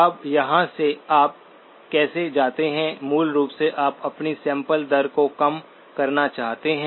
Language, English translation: Hindi, Now from here, how do you go to, basically you want to reduce your sampling rate